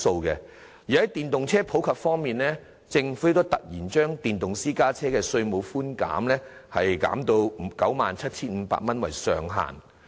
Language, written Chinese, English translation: Cantonese, 在電動車普及方面，政府突然把電動私家車的稅務寬免額削減至以 97,500 元為上限。, With regard to the popularization of EVs the Government has suddenly reduced and capped the tax concession amount for electric private cars at 97,500